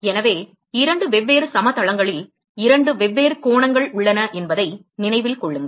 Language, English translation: Tamil, So, keep it in mind that there are two different angles in two different plains